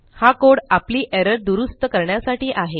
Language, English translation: Marathi, That code is to fix the error